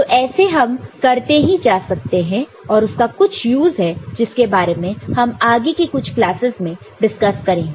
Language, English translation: Hindi, So, you can go on doing it and it has got certain use which we shall discuss later in some of the later classes ok